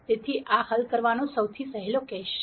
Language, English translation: Gujarati, So, this turns out to be the easiest case to solve